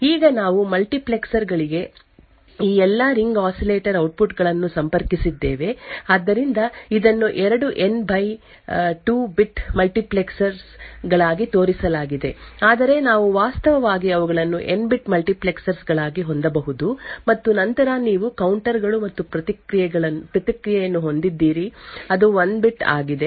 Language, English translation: Kannada, Now, we have all of these ring oscillator outputs connected to multiplexers, so this is shown as two N by 2 bit multiplexers but we can actually have them as N bit multiplexers, and then you have counters and response which is of 1 bit